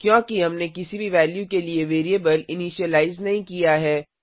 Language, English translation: Hindi, This is because, we have not initialized the variables to any value